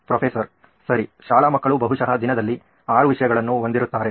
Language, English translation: Kannada, Right, school kid probably has 6 subjects in a day